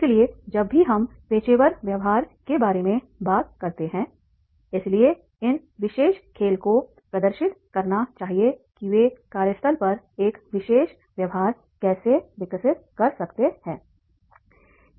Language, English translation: Hindi, So whenever we talk about the professional behaviors, so this particular game that should demonstrate that is the how they can develop a particular behavior at the workplace